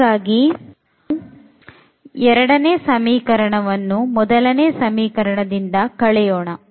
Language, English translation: Kannada, So, if we add if we subtract equation number 2 from the equation number 1